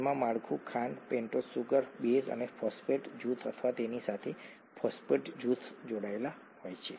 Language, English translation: Gujarati, They have the structure, sugar, a pentose sugar, a base and a phosphate group or phosphate groups attached to it